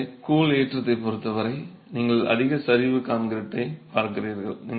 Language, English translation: Tamil, So, as far as the grout is concerned, you are looking at concrete that is high slump concrete